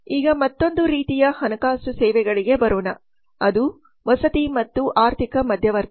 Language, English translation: Kannada, now coming to another type of financial services which is housing and financial intermediation